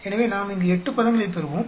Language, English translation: Tamil, So, we will get 8 terms here